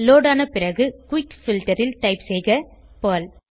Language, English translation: Tamil, Once loaded, type Perl in Quick Filter